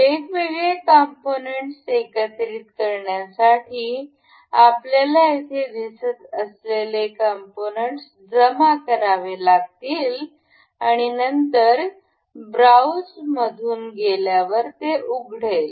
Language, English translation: Marathi, To assemble multiple components we have to insert the components we can see here, then going through browse it will open